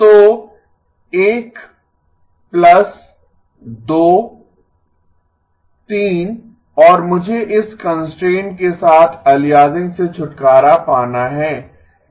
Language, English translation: Hindi, So 1 plus 2, 3 add I want to get rid of aliasing with this constraint